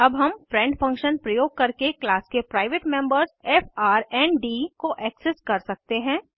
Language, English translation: Hindi, Now we can access the private members of class frnd using the friend function